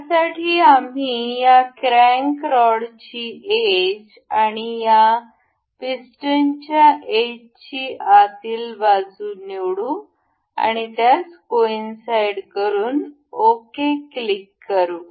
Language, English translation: Marathi, So, for this we will select the edge of this crank rod and the edge of this piston inner side, and make it coincide, and we will click ok